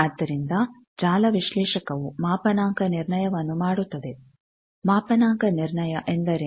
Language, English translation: Kannada, So, network analyzer does a calibration, what is calibration